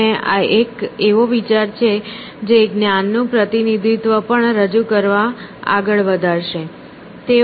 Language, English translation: Gujarati, And, this is an idea which, sort of, carries forward to present that knowledge representation as well